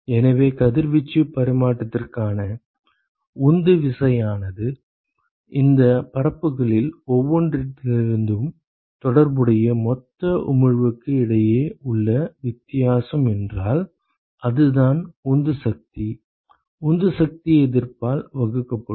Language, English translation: Tamil, So, if the driving force for radiation exchange is the difference between the corresponding total emission from each of these surfaces, so that is the driving force, driving force divided by the resistance ok